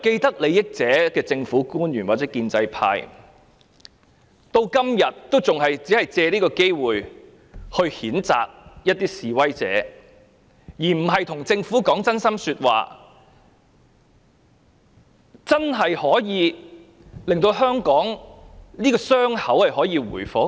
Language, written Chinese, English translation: Cantonese, 不過，政府官員或建制派是既得利益者，至今仍然經常借機會譴責示威者，而並非向政府說真心話，使香港的傷口可以真正復原。, But even today people with vested interests such as government officials or pro - establishment Members have still made use of every possible opportunity to condemn protesters rather than telling the Government their genuine thoughts on how the wounds of Hong Kong can truly be healed